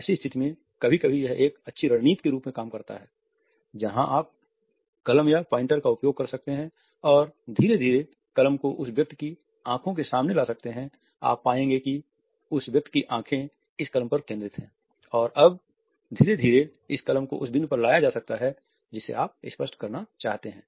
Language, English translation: Hindi, Then it sometimes works as a good strategy you can use a pen or a pointer an gradually bring this in front of the eyes of that person, gradually you would find that the eyes of that person are focused on this pen and gradually this pen can be brought to the point which you want to illustrate